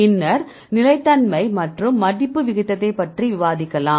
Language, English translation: Tamil, And then we have discussed about a stability today we will deal with the folding rate